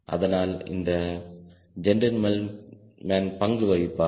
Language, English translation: Tamil, so this gentleman will play role